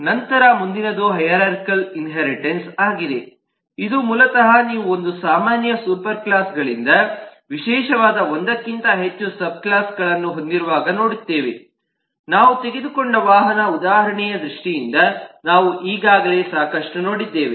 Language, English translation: Kannada, then next is hierarchal inheritance, which basically is when you have more than one subclass specialising from one common super classes, which is what we have already seen quiet a lot in terms of the vehicle example we just took here